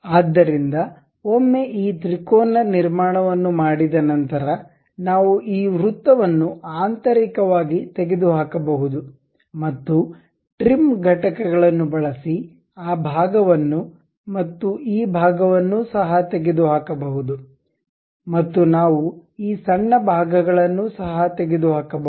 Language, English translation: Kannada, So, once it is done this triangular construction, we can internally remove this circle and we can use trim entities to remove that portion and this portion also